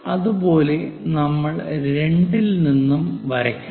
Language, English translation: Malayalam, Similarly, we will draw at 2; 3 is already there